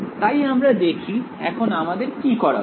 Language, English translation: Bengali, So, let us see, so what should we do